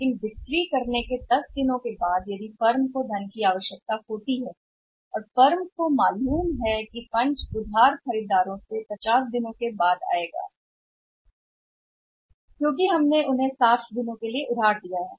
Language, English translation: Hindi, But after making the sales of 10 days after making the sales if the firm required the funds, funds from knows that the funds from the credit buyers will come over or say debtors will come after 50 days because we have given them a credit of 60 days